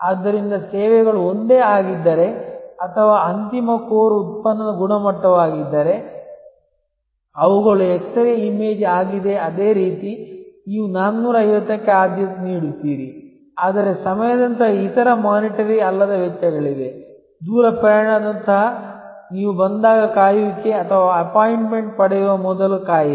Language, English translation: Kannada, So, if the services same or the quality of the final core product, which is they are x ray image is the same, you prefer 450, but there are other non monitory costs like time, like distance travel, like the wait when you arrive or wait before you get an appointment